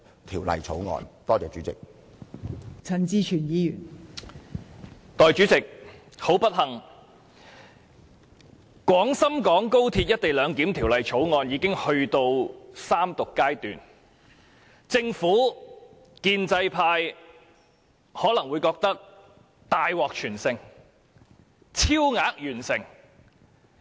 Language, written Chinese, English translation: Cantonese, 代理主席，十分不幸，《廣深港高鐵條例草案》已經到了三讀階段，政府、建制派可能會認為大獲全勝，超額完成。, Deputy President unfortunately the Third Reading of the Guangzhou - Shenzhen - Hong Kong Express Rail Link Co - location Bill the Bill has come . The Government and the pro - establishment camp may think that they will win a total victory and even exceed the target